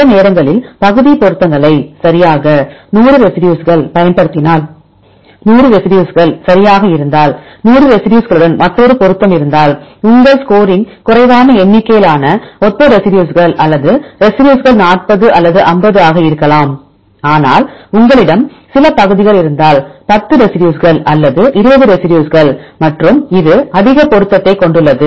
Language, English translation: Tamil, Sometimes you will partial match right if you have 100 residues right if you use all the 100 residues, if another match with the 100 residues, then your score will be less number of similar residues or identical residues maybe 40 or 50, but on other hand, if you have some only some segments for example, 10 residues or 20 residues and this have high matching